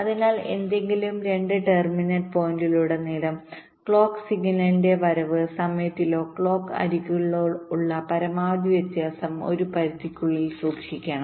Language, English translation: Malayalam, so across any two terminal points, the maximum difference in the arrival time of the clock signal or the clock edges should be kept within a limit